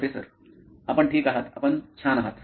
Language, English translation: Marathi, You are ok, you are cool